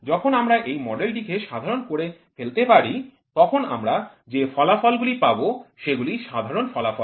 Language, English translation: Bengali, So, moment we generalize model what we get an output is generic output